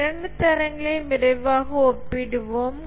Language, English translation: Tamil, Let's quickly compare these two standards